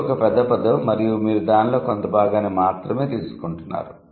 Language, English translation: Telugu, It is a bigger word and you are taking just a part of it